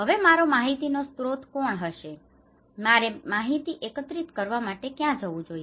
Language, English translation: Gujarati, Now, who will be my source of information, where should I go for collecting informations